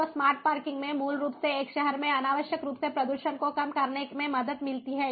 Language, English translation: Hindi, so, in a smart parking basically also helps in reducing pollution unnecessarily, ah, in a city